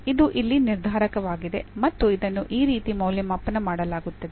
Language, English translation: Kannada, This is a determinant here which is evaluated in this way